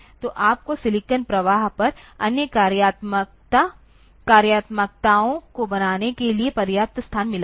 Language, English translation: Hindi, So, you have got enough space to realize other functionalities on the silicon flow